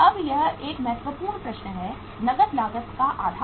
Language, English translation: Hindi, Now it is a important question, cash cost basis